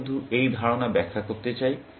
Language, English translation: Bengali, I just want to illustrate this idea